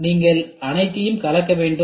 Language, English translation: Tamil, So, you have to have a blend of all